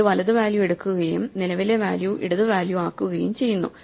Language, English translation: Malayalam, It takes the right value and makes it the current value the left value right dot left and makes with the left